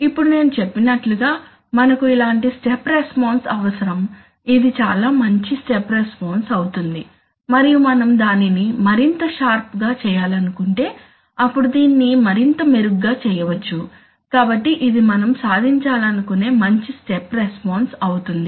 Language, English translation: Telugu, Now, so as I said that we need, we are, we are looking for a step response like this, this would be a very good step response and we if you can make it even sharper even better but generally if we want to make it sharper then, if we can make it like this even better, so this is a good step response that we would like to achieve